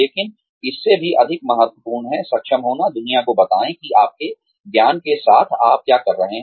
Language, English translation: Hindi, But, even more important than that is, being able to, let the world know, what you can do, with the knowledge, you have